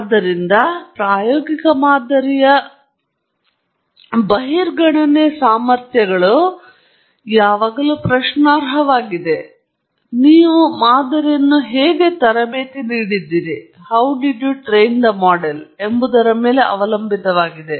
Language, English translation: Kannada, So, to speak, the extrapolation capabilities of an empirical model are always questionable, but it depends on how you have trained the model